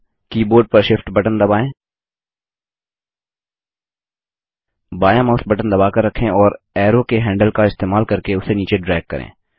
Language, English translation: Hindi, Now, press the Shift key on the keyboard, hold the left mouse button and using the arrows handle, drag it down